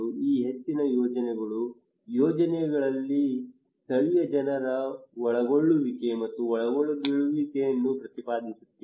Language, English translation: Kannada, Most of these projects are advocating the incorporations and involvement of the local people into the projects